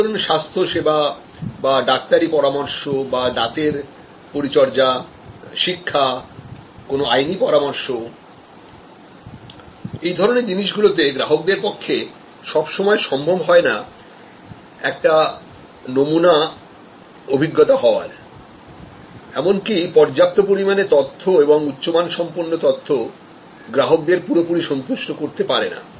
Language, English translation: Bengali, For example, health care, medical advice, dental care, education, legal advice, in this cases it is not possible for the customer to get a sample experience, even enough amount of information or good quality information can go up to certain extend